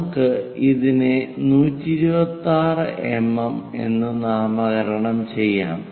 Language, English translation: Malayalam, Let us name it a 126 mm locate it 126 somewhere here